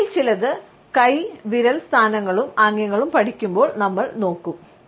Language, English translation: Malayalam, Some of these we will look up when we will take up hand and finger positions and gestures